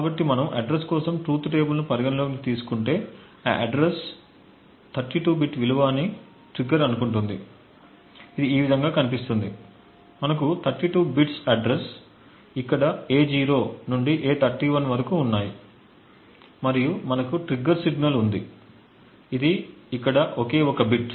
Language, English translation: Telugu, So if we consider the truth table for address and trigger assuming that address is a 32 bit value, it would look something like this, we have the 32 bits of the address A0 to A31 over here and we have the triggered signal which is a single bit over here